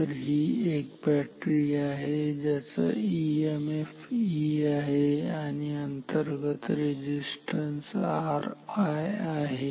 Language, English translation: Marathi, So, this is a battery with emf E and r i is the internal resistance of this battery